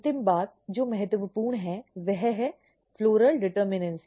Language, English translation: Hindi, The final thing which is important is the floral determinacy